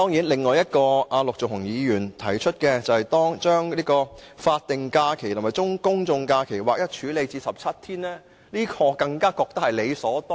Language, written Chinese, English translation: Cantonese, 陸頌雄議員提出的另一項建議，是將法定假期和公眾假期劃一為17天，我認為這更加是理所當然的。, Another proposal put forth by Mr LUK Chung - hung is to align the numbers of statutory holidays and general holidays . To me this is more than justified